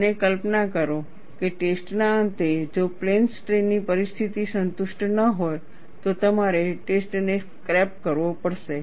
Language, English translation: Gujarati, And imagine, at the end of the test, if plane strain condition is not satisfied, you have to scrap the test